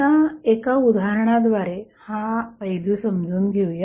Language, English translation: Marathi, Now, let us understand this aspect with the help of an example